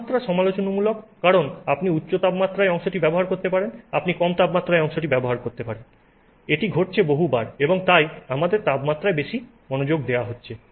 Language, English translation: Bengali, Temperature is critical because you can use the part at higher temperature, you can use the part at lower temperature, many times this is happening and so we are having greater focus on the temperature